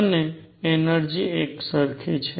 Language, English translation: Gujarati, And the energies are the same